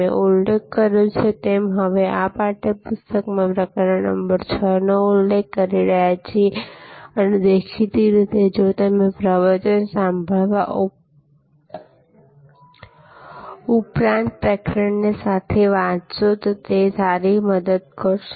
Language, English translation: Gujarati, As I mentioned, we are now referring to chapter number 6 of the text book and obviously, it will be a good help if you also read the chapter side by side, besides listening to the lecture